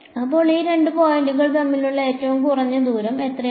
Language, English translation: Malayalam, So, this the minimum distance between these two points is how much